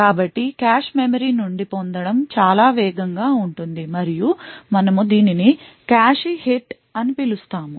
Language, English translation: Telugu, So this fetching from the cache memory is considerably faster and we call it a cache hit